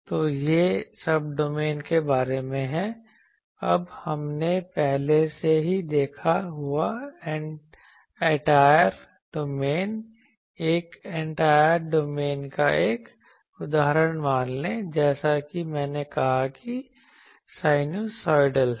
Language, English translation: Hindi, So, this is about Subdomain; now Entire domain we already saw that suppose one example of a entire domain as I said the sinusoidal